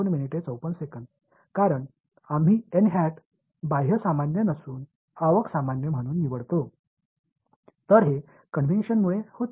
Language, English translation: Marathi, Because we choose n cap as the inward normal not outward normal, so this was due to convention